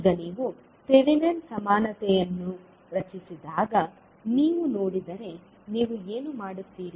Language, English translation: Kannada, So now, if you see when you create the thevenin equivalent what you do